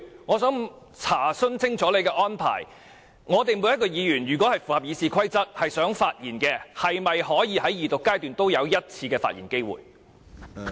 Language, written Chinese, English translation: Cantonese, 我想查問清楚你的安排，我們每名議員如果符合《議事規則》發言，是否都可以在二讀階段有1次發言機會？, If each Member speaks in accordance with the Rules of Procedure can they all be given a chance to speak once at the Second Reading?